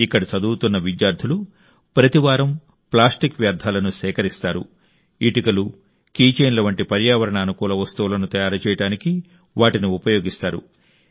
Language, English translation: Telugu, The students studying here collect plastic waste every week, which is used in making items like ecofriendly bricks and key chains